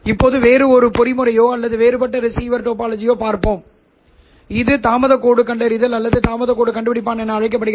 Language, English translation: Tamil, Now, let us look at a different mechanism or a different receiver topology which is called as delay line detection or delay line detector